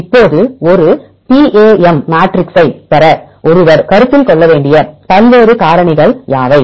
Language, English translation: Tamil, Now what are the various factors one has to consider to derive a PAM matrix